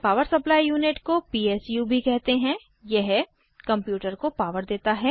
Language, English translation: Hindi, Power Supply Unit, also called PSU, supplies power to the computer